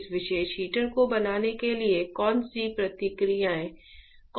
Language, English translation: Hindi, What are the processes involved in fabricating this particular heater